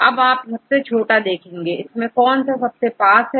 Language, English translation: Hindi, Now, you can see the smallest ones then see which one, which two are close to each other